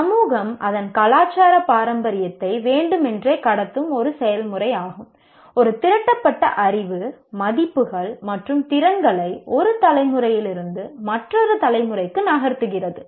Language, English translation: Tamil, It is a process by which society deliberately transmits its cultural heritage, that is its accumulated knowledge, values, and skills from one generation to the other